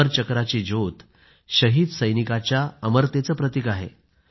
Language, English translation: Marathi, The flame of the Amar Chakra symbolizes the immortality of the martyred soldier